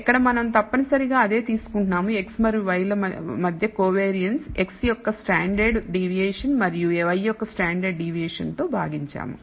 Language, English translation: Telugu, Where we are essentially taking same thing that we did before the covariance between x and y divided by the standard deviation of x and the standard deviation of y